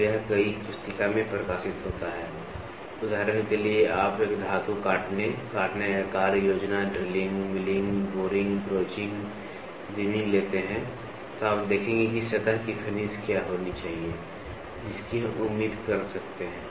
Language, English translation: Hindi, So, this is published in several hand books for example, you take metal cutting, sawing, planning, drilling, milling, boring, broaching, reaming you will see what should be the surface finish we can expect